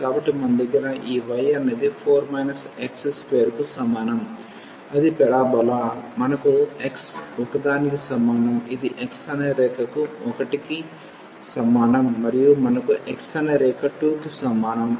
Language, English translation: Telugu, So, we have this y is equal to 4 minus x square that is the parabola, we have x is equal to one this is the line x is equal to 1 and we have the line x is equal to 2